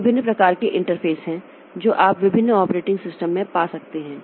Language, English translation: Hindi, Now, there are different types of interfaces that you can find in different operating system